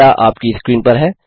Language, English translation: Hindi, The data is on your screen